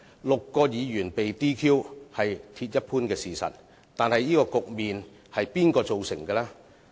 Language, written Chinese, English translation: Cantonese, 六位議員被 "DQ" 是鐵一般的事實，但這個局面是誰造成呢？, It is a hard fact that six Members were disqualified but who were the culprits of this predicament?